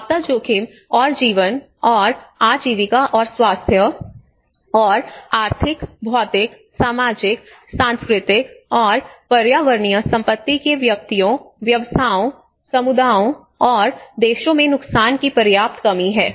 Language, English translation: Hindi, the substantial reduction of disaster risk and losses in lives, and livelihoods and health, and economic, physical, social, cultural and environmental assets of persons, businesses, communities and countries